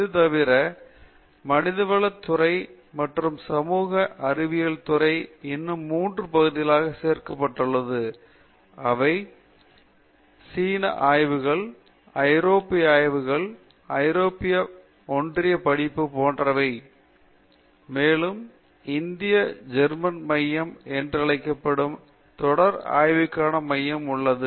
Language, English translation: Tamil, Apart from that, Department of Humanities and Social Sciences has 3 more areas which has been added and they are like China studies, European studies that is European union study and also there is a center called Indo German center for sustainability study